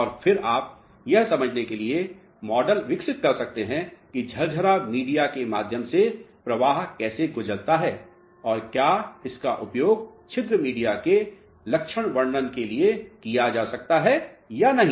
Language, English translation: Hindi, And, then you can develop the models to understand how current passes through the porous media and whether it can be utilized for characterization of the porous media or not alright